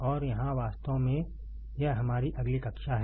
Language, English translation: Hindi, And here actually this is our next class